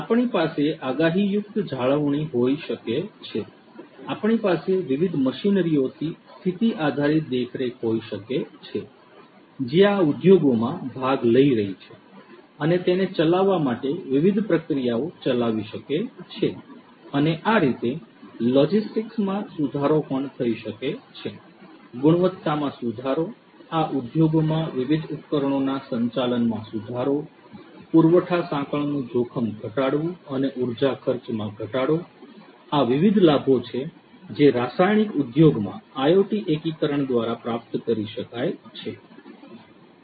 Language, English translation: Gujarati, We can have predictive maintenance; we can have condition based monitoring of different machinery that are taking part in these industries to carry out different processes to execute them and so on; improvement of logistics could also be done; improvement of the quality; improvement of the management of the different equipments in these industries; minimizing the supply chain risk and reduction of energy expenses, these are the different benefits that could be achieved through IoT integration in the chemical industry